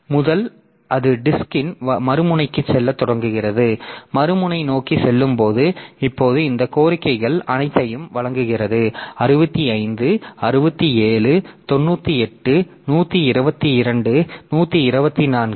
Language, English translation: Tamil, From zero again it starts going to the other end of the disk and while going towards the other end now it solves all this request 65, 67, 98, 122, 124 like that